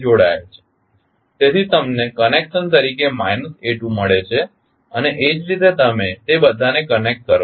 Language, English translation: Gujarati, So, you got minus a2 as the connection and similarly you connect all of them